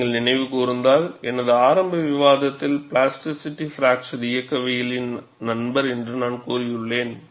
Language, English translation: Tamil, See, if you recall, in my early discussion, I have said, plasticity is a friend of fracture mechanics